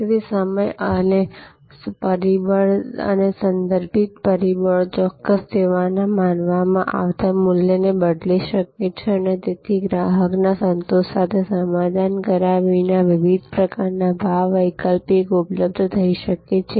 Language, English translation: Gujarati, So, the time factor and the contextual factors can change the perceived value of a particular service and therefore, different sort of pricing alternatives can become available without compromising on customer satisfaction